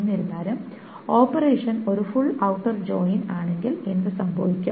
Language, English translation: Malayalam, However, what happens when the operation is a full outer join